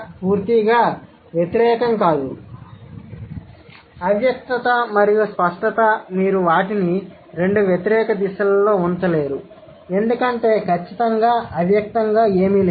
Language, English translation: Telugu, So, implicitness and explicitness, you cannot keep them in two opposite directions because there is nothing absolutely implicit